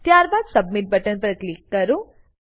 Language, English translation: Gujarati, Then click on Submit button